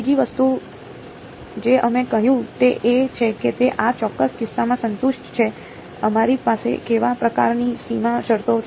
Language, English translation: Gujarati, The other thing that we said is that it satisfied in this particular case, what kind of boundary conditions that we have